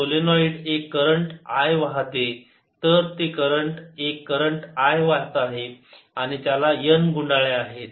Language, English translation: Marathi, the solenoid carries a current i, so it carries a current i and has n turns